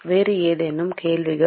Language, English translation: Tamil, Any other questions